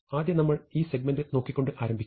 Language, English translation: Malayalam, So, we first of all start with, looking at this segment